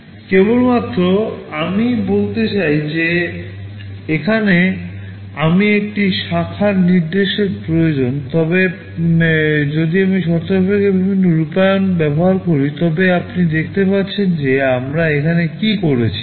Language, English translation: Bengali, The only thing that I want to say is that, here I am requiring one branch instruction, but if I use the conditional variety of implementation like this, you see what we have done here